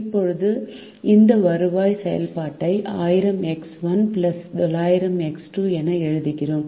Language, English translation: Tamil, now we writ this revenue function as thousand x one plus nine hundred x two